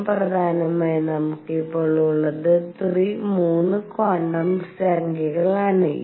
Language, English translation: Malayalam, More importantly what we have are now 3 quantum numbers